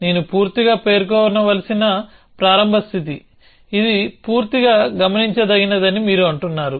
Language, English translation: Telugu, The start state I need to completely specify, you say that it is fully observable